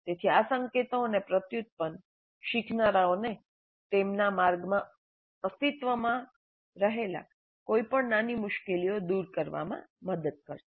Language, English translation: Gujarati, So these cues and prompts are supposed to help the learners overcome any minor stumbling blocks which exist in their path